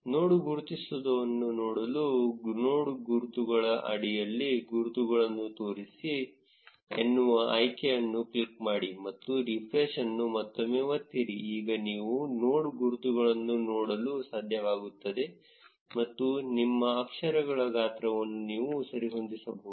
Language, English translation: Kannada, To be able to see the node labels, click on the show labels option under the node labels, and again press on refresh, now you will be able to see the node labels and you can adjust your font size